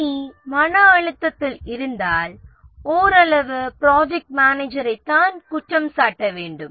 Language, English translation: Tamil, If the team is under stress, it is partly the project manager who is to blame